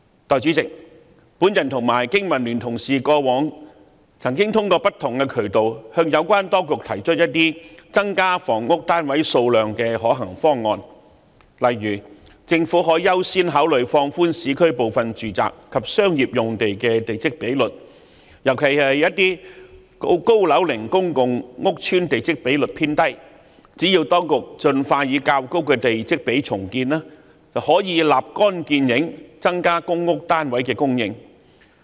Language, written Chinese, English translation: Cantonese, 代理主席，我和經民聯的同事過往曾經通過不同渠道，向有關當局提出增加房屋單位數量的一些可行方案，例如政府可優先考慮放寬市區部分住宅及商業用地的地積比率，尤其是高樓齡公共屋邨的地積比率偏低，只要當局盡快以較高的地積比率重建，便可以立竿見影，增加公屋單位的供應。, Deputy President Honourable colleagues of BPA and I have put forward feasible proposals to the Administration through various channels for increasing the number of housing units . For instance the Government may consider according priority to relaxing the plot ratio of some urban residential and commercial sites in particular aged public housing estates with a relatively low plot ratio . Their expeditious redevelopment at a higher plot ratio can instantly increase the supply of public housing units